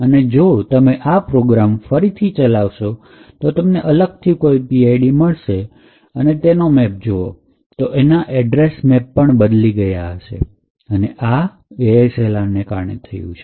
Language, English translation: Gujarati, Now, if you run that same program again obviously you would get a different PID and if you look at the maps for that new process you would see that it is a change in the address map and this change is occurring due to ASLR